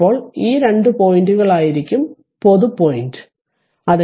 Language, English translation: Malayalam, Now, this two these two point is a common point